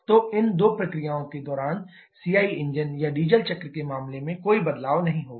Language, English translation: Hindi, So, there will be no change in case of CI engine or diesel cycle during those two processes